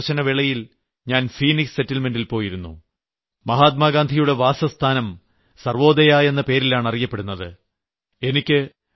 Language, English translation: Malayalam, During my South Africa tour, I visited Phoenix settlement where Mahatma Gandhi's home is known as 'Sarvodaya'